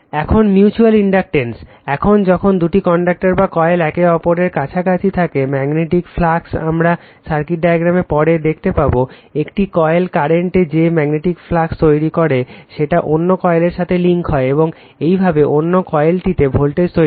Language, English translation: Bengali, Now, mutual inductance, now, when two inductors or coils right are in a close proximity to each other, the magnetic flux will see later in the circuit diagram, the magnetic flux caused by current in one coil links with other coil right, thereby inducing voltage in the latter right